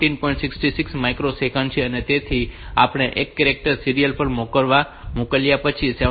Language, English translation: Gujarati, 66 microsecond after sending one character serially